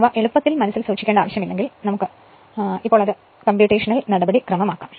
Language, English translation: Malayalam, If you have understood this thing, then there is no need to keep it in mind easily you can make it right now computational procedure